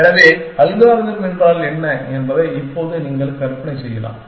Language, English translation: Tamil, So, you can now imagine what the algorithm is